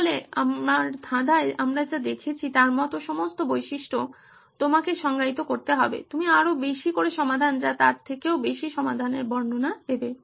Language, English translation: Bengali, So what all the features like what we saw in my puzzle, you have to define, you are describing a solution more than the solution itself